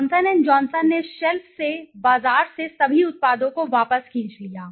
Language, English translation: Hindi, Johnson and Johnson pulled back all the products from the market from the shelf